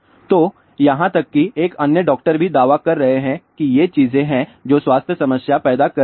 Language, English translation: Hindi, So, even here another doctor is also claiming that these are the things which are causing health problem